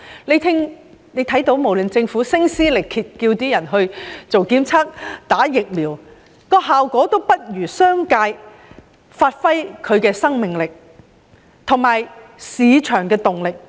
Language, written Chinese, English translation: Cantonese, 大家看到無論政府如何聲撕力竭地叫市民進行檢測和接種疫苗，效果都不及商界發揮的生命力和市場的動力。, We can see that no matter how hard the Government appeals to the public to undergo testing and get vaccinated the effectiveness is not comparable to the incentives provided by the business sector and the market